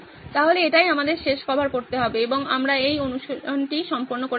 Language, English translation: Bengali, So that is one last cover and we are done with this exercise